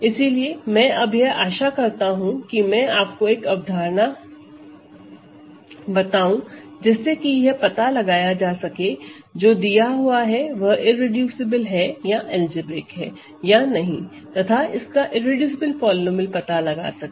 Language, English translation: Hindi, So, and any way the hope right now is to just give you an idea of how to find whether something is irreducible or something is algebraic or not and try to find it is irreducible polynomial